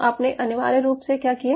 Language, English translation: Hindi, so what you essentially did